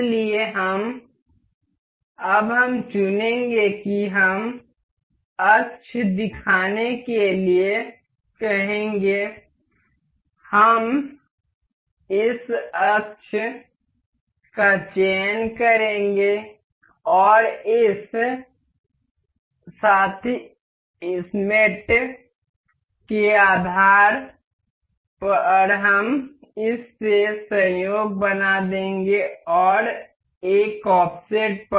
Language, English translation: Hindi, So, now we will select the we will ask for to show the axis, we will select this axis and base of this mate we will make it coincident and at a offset